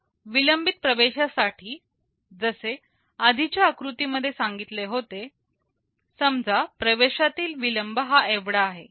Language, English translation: Marathi, Now, for delayed entry as I had said in the previous diagram, suppose there is a delay in the entry by this much